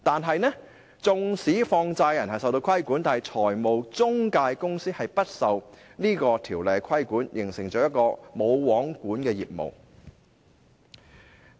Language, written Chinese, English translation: Cantonese, 然而，縱使放債人受到規管，但中介公司卻不受《條例》規管，造成了一個"無皇管"的情況。, Nevertheless even if money lenders are subject to regulation intermediaries are not regulated by the Ordinance as if they are in a no mans land